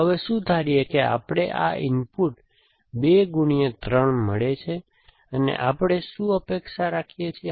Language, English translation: Gujarati, So, now what supposing we get this input 2 input, 3, here what do we expect